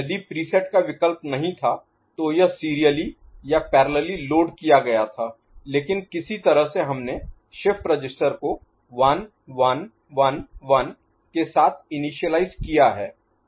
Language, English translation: Hindi, If there was no preset option, then it was serially or parallelly loaded, but somehow we have initialized the shift register with a value 1 1 1 1 ok